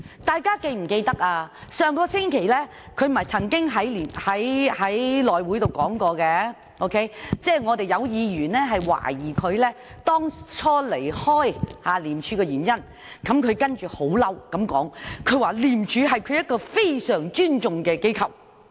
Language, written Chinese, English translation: Cantonese, 大家是否記得，在上星期的內務委員會會議上，曾有議員懷疑他離開廉署的原因，於是他很生氣地說，廉署是他非常尊重的機構。, As Members may recall when a Member cast doubt on LAMs departure from ICAC at the House Committee meeting held last week he was furious and responded that ICAC was a very respectable institution to him